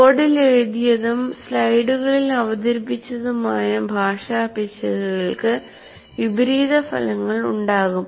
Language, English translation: Malayalam, And language errors in what is written on the board and presented in the slides can have multiplying effects